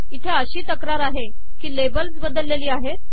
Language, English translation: Marathi, There is a complaint saying that labels have changed